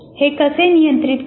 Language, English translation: Marathi, But how does it control